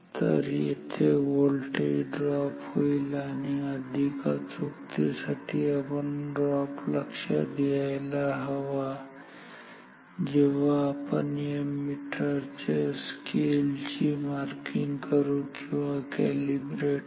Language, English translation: Marathi, So, this voltage drop occurs and for better accuracy, we should consider this drop while calibrating or marking the scale of this meter ok